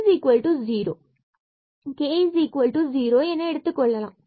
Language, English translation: Tamil, So, for example, this is h is equal to 0 and k is equal to 0